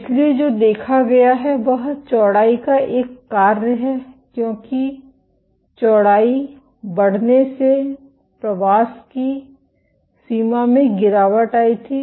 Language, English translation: Hindi, So, what the observed is a function of width was as the width increased there was a drop in the extent of migration